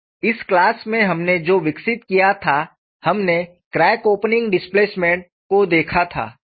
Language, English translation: Hindi, So, in this class, what we have developed was, we had looked at crack opening displacement